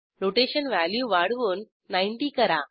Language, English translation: Marathi, Let us increase the Rotation value to 90